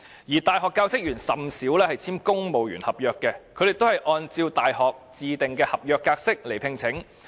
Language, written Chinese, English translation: Cantonese, 而大學教職員甚少按公務員合約聘請，而是按照大學自訂的合約來聘請。, Universities seldom employ staff on civil service contracts but on their own specific contracts